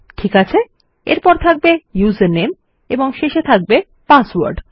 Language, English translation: Bengali, Okay, next one will be the user name and last one is going to be the password